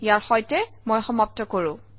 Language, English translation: Assamese, Let me finish with this